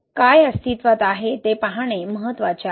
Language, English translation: Marathi, It is important to look into what exists